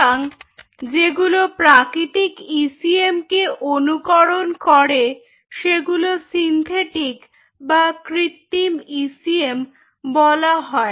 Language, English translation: Bengali, ok, so those which mimics these natural ecm, those items, or coin it as synthetic ecm